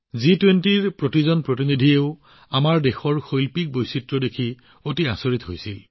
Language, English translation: Assamese, Every representative who came to the G20 was amazed to see the artistic diversity of our country